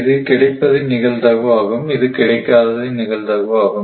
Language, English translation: Tamil, This is the probability of the availability, right